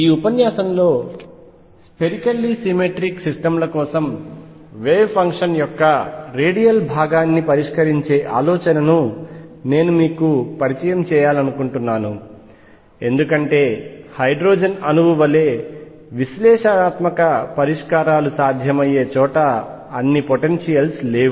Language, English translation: Telugu, In this lecture I want to introduce you to the idea of solving the radial component of the wave function for a spherically symmetric systems, because not all potentials are such where analytical solutions are possible like they were for the hydrogen atom